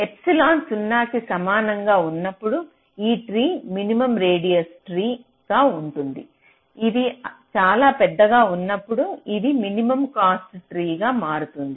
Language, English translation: Telugu, so the idea is that when epsilon is equal to zero, this tree will be the minimum radius tree and when it is very large, it will tend to become the minimum cost tree